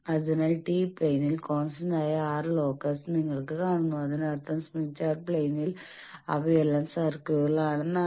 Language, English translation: Malayalam, So, you see the constant R locus they are in the tau plane, that means the smith chart plane they are all circles